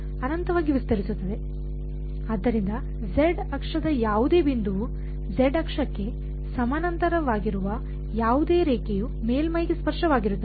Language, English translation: Kannada, So, the z axis any point any line parallel to the z axis is tangential to the surface